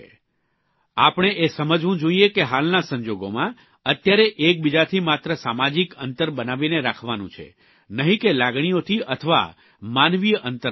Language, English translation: Gujarati, We need to understand that in the current circumstances, we need to ensure social distance, not human or emotional distance